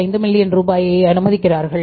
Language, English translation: Tamil, 5 million rupees